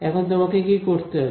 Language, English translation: Bengali, What do you have to do